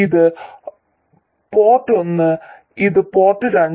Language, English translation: Malayalam, This is port 1 and this is port 2